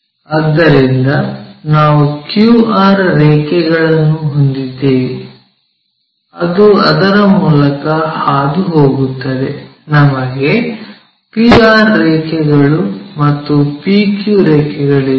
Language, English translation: Kannada, So, we have a QR line which goes through that we have a P R line and we have a PQ line